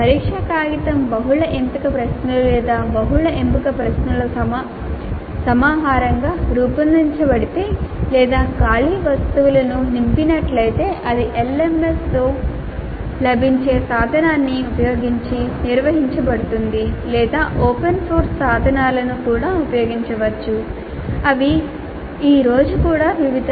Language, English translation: Telugu, If the test paper is designed as a collection of multiple choice questions or multiple select questions or fill in the blank items, then that can be administered using a tool available with LMS or one could also use open source tools which are also available today in fair variety